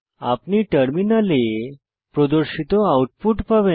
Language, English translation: Bengali, You will get the output as displayed on the terminal